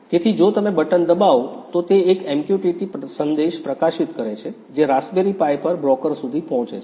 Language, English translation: Gujarati, So, if you press the button, it publishes an MQTT message which reaches the broker on the Raspberry Pi